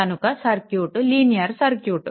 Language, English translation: Telugu, So, in the circuit is linear circuit right